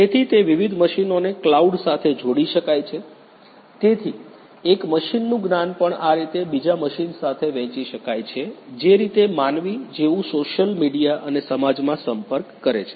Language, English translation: Gujarati, So, that different machines can be connected to the cloud so, the knowledge of one machines can also be thus shared with the other machine; just like the human being you know interacting with social media and in the society